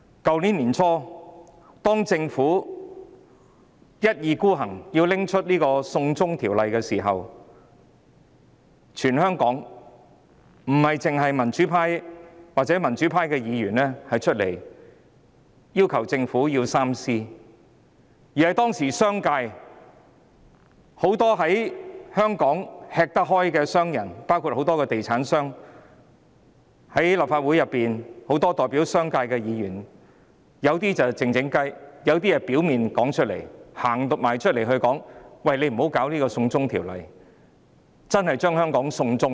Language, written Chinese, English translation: Cantonese, 去年年初，當政府一意孤行要推行"送中條例"時，全香港不單民主派議員站出來要求政府三思，當時連香港商界很多吃得開的商人，包括地產商及代表商界的立法會議員均提出異議，他們有些是悄悄地勸止，亦有些是公開表明，請政府不要推行"送中條例"，因為這真的會把香港"送中"。, Early last year when the Government was bent on introducing the extradition to China Bill Members of the pro - democracy camp were not the only people across the territory who came forward to request the Government to think twice . At that time even many businessmen who had been doing well in the business sector in Hong Kong including real estate developers and Legislative Council Members representing the business sector raised objections . Some of them advised in private and some in public that the Government should not introduce the extradition to China Bill because it was indeed tantamount to surrendering Hong Kong to China